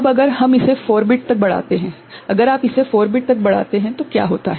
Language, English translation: Hindi, Now, if we extend it to 4 bit, if you extend it to 4 bit what happens